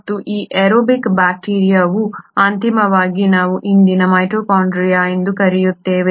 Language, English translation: Kannada, And this aerobic bacteria eventually ended up becoming what we call today’s mitochondria